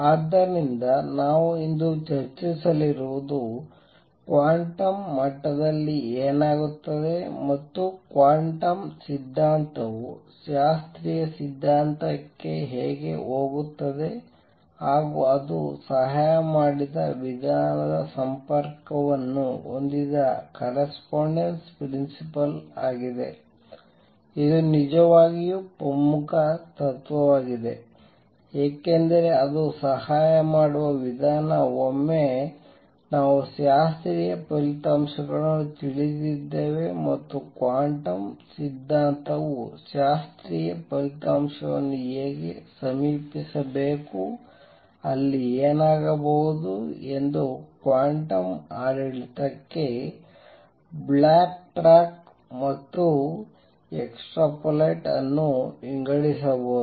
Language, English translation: Kannada, So, what we are going to discuss today is the correspondence principle that made a connection of what happens at quantum level and how quantum theory goes over to classical theory and the way it helped, it is a really important principle because the way it helps is that once we knew the classical results and how quantum theory should approach the classical result, one could sort of backtrack and extrapolate to the quantum regime what would happen there